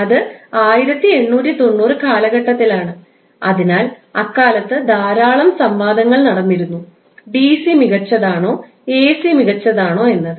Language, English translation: Malayalam, So, at that time, a lot of debates were going on that was around 1890 period that which is superior whether DC is superior or AC is superior